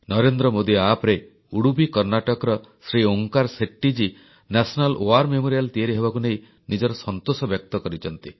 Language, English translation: Odia, On the Narendra Modi App, Shri Onkar Shetty ji of Udupi, Karnataka has expressed his happiness on the completion of the National War Memorial